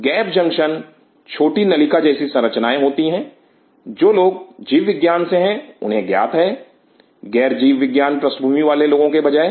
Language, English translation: Hindi, Gap junctions are small tube like structure those are from biology, aware of those who are from non biology background